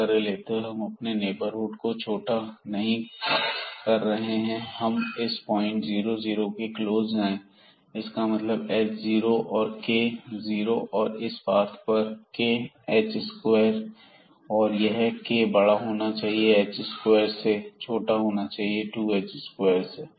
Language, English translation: Hindi, So, by choosing this, so we are not restricting our neighborhood, we can go as close as to this 0 0 point meaning h 0 and k 0 point having this path here h square this k should be greater than h square and less than 2 h square